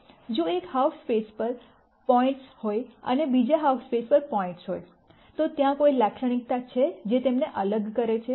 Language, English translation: Gujarati, If there are points on one half space and points on the other half space, is there some characteristic that separates them